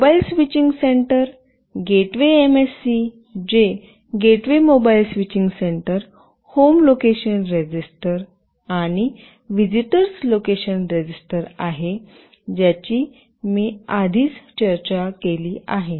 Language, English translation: Marathi, Mobile Switching Center, a gateway MSC that is Gateway Mobile Switching Center, Home Location Register, and Visitor Location Register, which I have already discussed